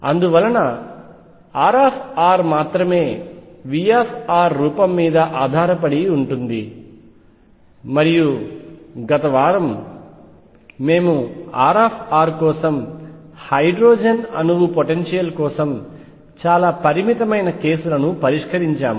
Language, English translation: Telugu, And therefore, only R r depends on the form of v r, and last week we had solved for R r for very limited cases for the hydrogen atom potential